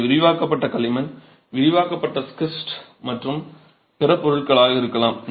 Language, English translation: Tamil, It could be expanded clay, expanded schist and other materials